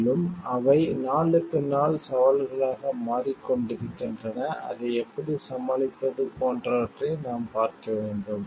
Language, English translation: Tamil, And which are becoming day to day challenges and we need to see like how we can overcome it